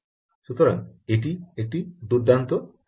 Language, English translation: Bengali, so this is a very interesting technology